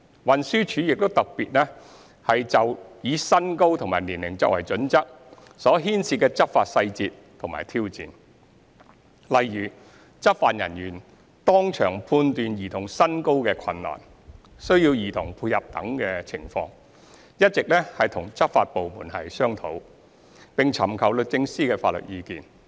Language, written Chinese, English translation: Cantonese, 運輸署亦特別就以身高及年齡作為準則所牽涉的執法細節及挑戰，例如執法人員當場判斷兒童身高的困難、需要兒童配合等情況，一直與執法部門商討，並尋求律政司的法律意見。, TD has in particular kept discussing with the law enforcement agency and sought legal advice from the Department of Justice on the enforcement details and challenges arising from the adoption of body height and age as the criteria such as the law enforcement officers difficulties in determining the height of the children concerned on the spot the need for childrens cooperation etc